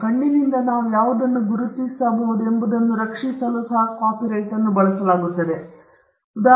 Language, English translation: Kannada, Designs Designs are used to protect what can we distinguished by the eye